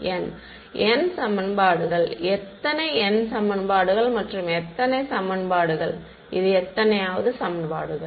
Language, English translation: Tamil, n equations, how many n equations and how many equations, how many equations is this